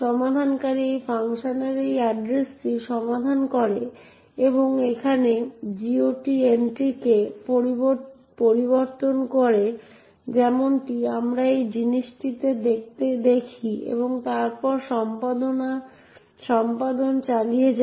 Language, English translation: Bengali, The resolver resolves this address of this function and modifies the GOT entry over here as we see in this thing and then continues the execution